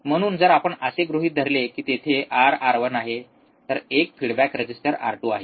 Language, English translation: Marathi, So, if you assume there is R, R 1 there is a feedback resistor R 2